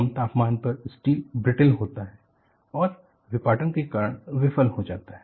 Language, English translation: Hindi, At low temperature, steel is brittle and fails by clevage